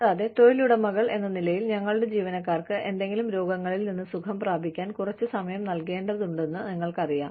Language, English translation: Malayalam, And, so you know, we are required as employers, to give our employees, some time for recovering, from any illnesses